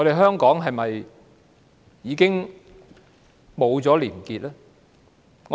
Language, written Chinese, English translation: Cantonese, 香港是否已經失去了廉潔？, Has Hong Kong already lost its integrity?